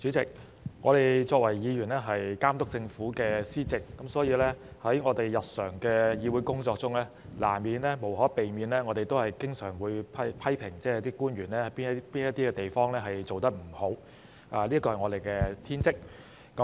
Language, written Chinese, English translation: Cantonese, 主席，我們作為議員的職責是監督政府施政，所以我們在日常的議會工作中，無可避免地會經常批評官員有甚麼地方做得不好，這是我們的天職。, Chairman our duty as Members is to oversee the administration of the Government so it is inevitable that in our daily work in the legislature we constantly criticize government officials for any shortcoming . It is our bounden duty